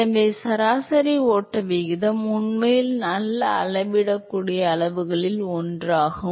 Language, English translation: Tamil, So, average flow rate is actually one of the good measurable quantity